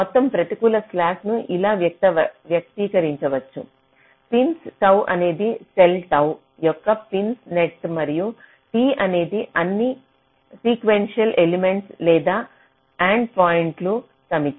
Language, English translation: Telugu, total negative hm slack can be expressed like this: p i n s tau is a set of pins of a cell tau and t is the set of all sequential elements or endpoints